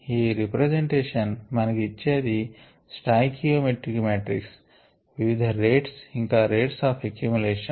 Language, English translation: Telugu, sorry, this representation gives us stoichiometric matrix, various rates and the rates of accumulation